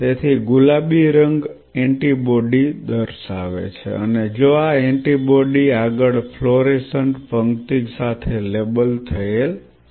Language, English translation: Gujarati, So, the pink color is showing the antibody and if this antibody is further labeled with a fluorescent row